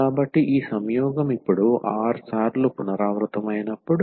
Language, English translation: Telugu, So, these conjugates are repeated r times now